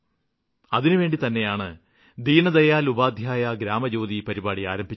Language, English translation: Malayalam, For this purpose, we have launched "Deendayal Upadhyaya Gram Jyoti Programme"